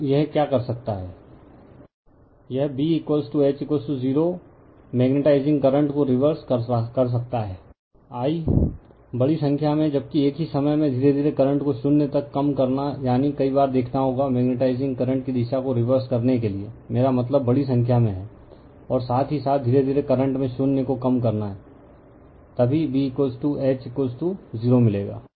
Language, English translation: Hindi, By reversing the magnetizing current say I, a large number of times while at the same time gradually reducing the current to zero that means, several times you have to see you have to reverse the direction of the your magnetizing current, I mean large number of times, and while at the same time gradually you have to reduce in the current to zero, then only you will get B is equal to H is equal to 0